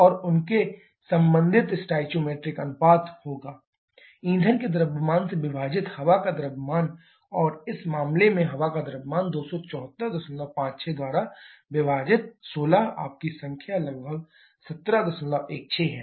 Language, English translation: Hindi, And their corresponding stoichiometric ratio will be: mass of air divided by mass of fuel and mass of air in this case 274